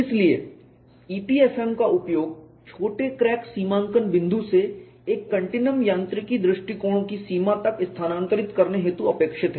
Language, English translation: Hindi, So, the use of EPFM is expected to shift the short crack demarcation point to the limit of a continuum mechanics approach